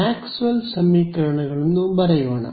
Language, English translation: Kannada, So, let us say write down our Maxwell’s equations